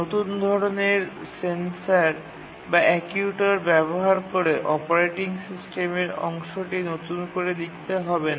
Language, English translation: Bengali, Using a new type of sensor or actuator should not require to rewrite part of the operating system